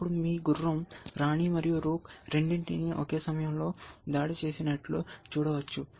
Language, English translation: Telugu, Then you can see that knight is attacking both the queen and the rook at the same time